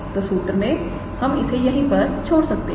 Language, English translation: Hindi, So, in the formula we can leave it like that